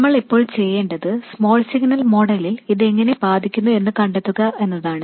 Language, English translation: Malayalam, What we need to do now is to find out the effect of this on the small signal model